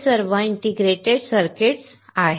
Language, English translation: Marathi, It is all integrated circuits